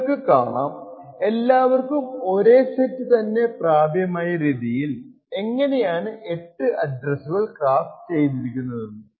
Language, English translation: Malayalam, You can see how the 8 addresses are crafted, so that all of them would access exactly the same set